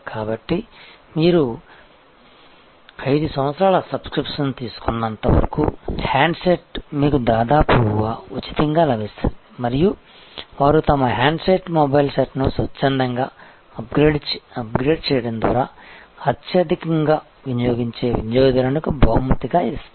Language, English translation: Telugu, So, handset you get almost free as long as you take a 5 years subscription and so on and they often reward the customer who are more higher users by voluntarily upgrading their handset, the mobile set